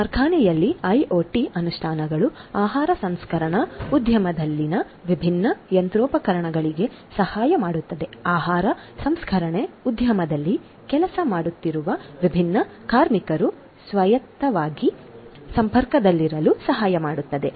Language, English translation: Kannada, In the factory IoT implementations can help the different machineries in the food processing industry, the different workers who are working in the food processing industry to remain connected autonomously